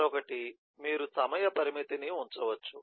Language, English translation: Telugu, the other is, you could put a time constraint